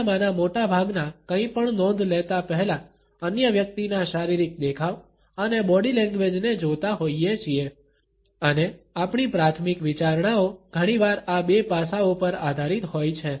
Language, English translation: Gujarati, Most of us notice another person’s physical appearance and body language before we notice anything else and our primary considerations are often based on these two aspects